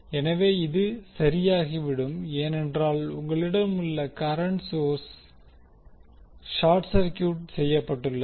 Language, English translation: Tamil, So, this will be sorted because you have a current voltage source connected which was short circuited